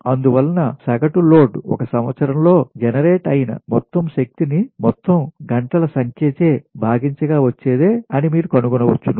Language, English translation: Telugu, therefore, average load, you can find that it is annual energy generated divided by the total number of hours